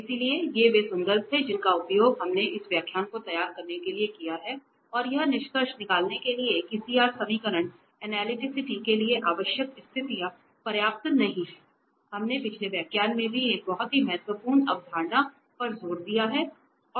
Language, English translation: Hindi, So, these are the references we have used for preparing this lecture and to conclude the CR equations are necessary conditions for analyticity not sufficient this we have also emphasized in the previous lecture a very important concept